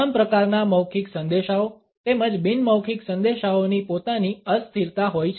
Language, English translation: Gujarati, All types of verbal messages as well as nonverbal messages have their own temporalities